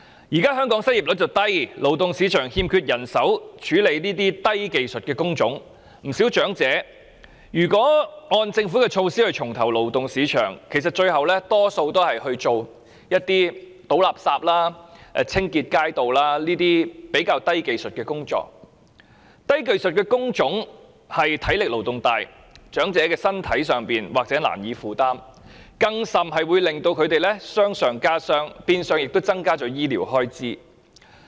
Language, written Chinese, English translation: Cantonese, 現時香港的失業率低，勞動市場欠缺人手從事低技術工種，不少長者如果按政府政策重投勞動市場，其實最後大多數都是從事倒垃圾或清潔街道等較低技術的工作，而低技術的工種的體力勞動大，長者身體或難以負擔，甚至會令他們傷上加傷，變相增加醫療開支。, Given the low unemployment rate in Hong Kong now there is a manpower shortage for low - skilled jobs in the labour market . Hence if elderly people are to rejoin the workforce according to the Governments policy many of them will end up taking low - skilled jobs such as garbage collectors or street cleaners which entail intensive physical labour probably hard to bear by elderly people . As a result they may suffer even more injuries and higher medical expenses will be incurred in turn